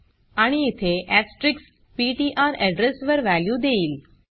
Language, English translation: Marathi, And here asterisk ptr will give the value at the address